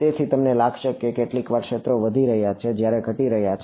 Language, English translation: Gujarati, So, you might find sometimes the fields are increasing sometimes the decreasing